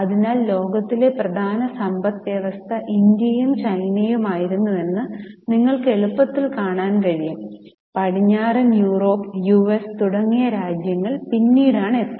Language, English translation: Malayalam, So you can easily see that India and China, where the dominant economies in the world, other countries like Western Europe and US, have arrived much later